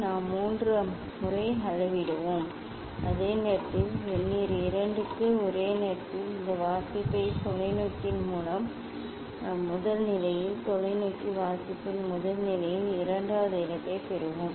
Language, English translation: Tamil, we will measure 3 times and at the same time this for Vernier 2 simultaneously we will get this reading at the first position of the telescope, at the first position of the telescope reading at the second position of the telescope